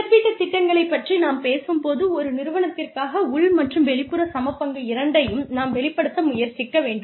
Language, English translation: Tamil, When we talk about compensation plans, we try and establish both internal and external equity, for a firm